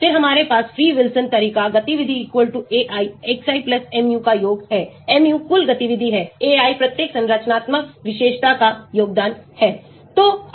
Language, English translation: Hindi, Then we have free Wilson approach, activity = summation of ai xi + mu; mu is the overall activity, ai is the contribution of each structural feature